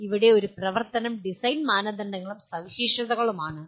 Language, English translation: Malayalam, So here the one activity is design criteria and specifications